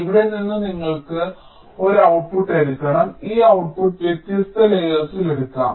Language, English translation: Malayalam, so from here you have to take an output, and this output can be taken on different layers